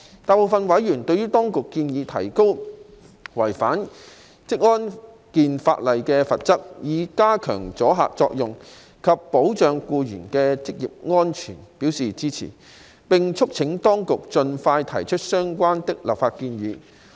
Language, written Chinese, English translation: Cantonese, 大部分委員對當局建議提高違反職安健法例的罰則，以加強阻嚇作用及保障僱員的職業安全表示支持，並促請當局盡快提出相關的立法建議。, Most members expressed support for the Administrations proposal to increase the penalties for non - compliance with the OSH legislation so as to increase the deterrent effect and protect occupational safety of employees . They also urged the Administration to submit the relevant legislative proposal as soon as possible